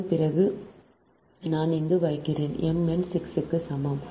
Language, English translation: Tamil, after that i am putting: here: m n is equal to six